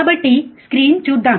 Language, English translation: Telugu, So, let us see the screen